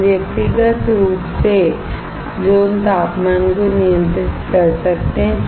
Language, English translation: Hindi, We can control the zone temperature individually